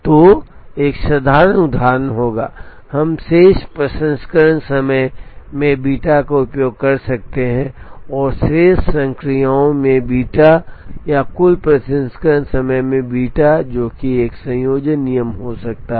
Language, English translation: Hindi, So, a simple example would be, we could use alpha into remaining processing time plus beta into remaining number of operations or beta into total processing time that can be a combination rule